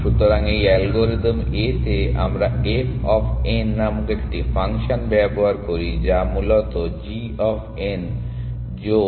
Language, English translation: Bengali, So, in this algorithm A, we use a function called f of n which is basically the sum of g of n plus h of n